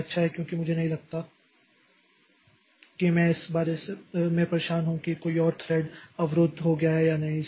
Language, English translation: Hindi, So, it is good because I don't, I don't be bothered about whether some other thread got blocked or not